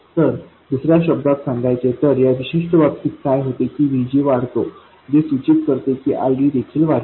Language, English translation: Marathi, So in other words, if in this particular case what happens is VG increases which implies that ID also increases